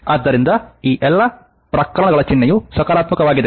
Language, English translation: Kannada, So, all these cases sign is positive